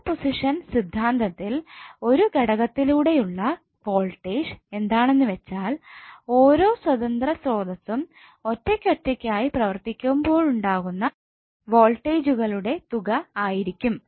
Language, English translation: Malayalam, In super position theorem the voltage across an element is the algebraic sum of voltage across that element due to each independence source acting alone